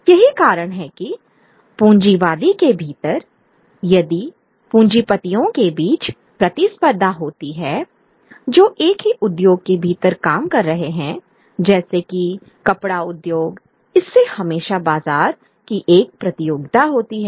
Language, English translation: Hindi, Which is why within capitalism, if there is competition between capitalists who are operating within the same industry, let us say the textile industry, there is always a contest of market